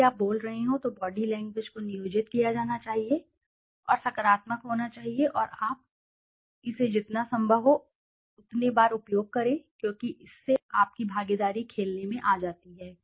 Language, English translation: Hindi, Body language should be employed whenever you are speaking your body language should be positive and you should be using it as often as possible because by that your involvement comes into play